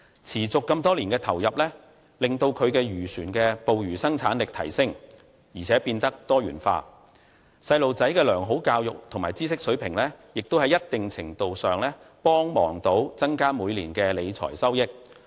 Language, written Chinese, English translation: Cantonese, 持續多年的投入，讓其漁船的捕魚生產力提升，而且變得多元化，而孩子的良好教育和知識水平也在一定程度上幫助增加每年的理財收益。, And years of investment in his fishing vessel also enables the fisherman to enhance his fishing capacity and diversify his fishery business . Also the quality education that his children received and the elevation of knowledge level also help increase his yearly financial return